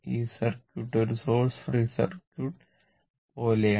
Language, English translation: Malayalam, This this circuit is something like a source free circuit, right